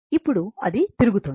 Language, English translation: Telugu, Now, it is revolving